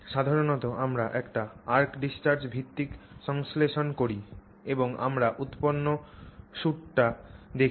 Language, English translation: Bengali, So, if you do the arc discharge based synthesis, this is the kind of product you get